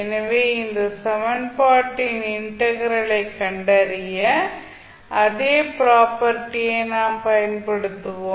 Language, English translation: Tamil, So the same property we will use for finding out the integral of this particular equation